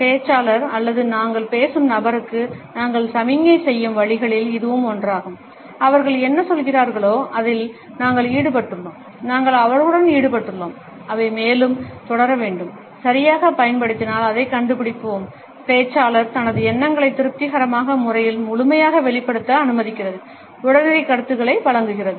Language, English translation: Tamil, This is one of the ways in which we signal to the speaker or the person we are talking to, that we are engaged in whatever they are saying, we are engaged with them and they should continue further and if used correctly, we find that it allows the speaker to fully express his or her thoughts in a satisfying manner, providing immediate feedback